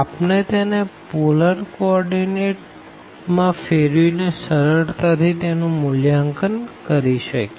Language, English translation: Gujarati, We can evaluate easily by change into the polar coordinate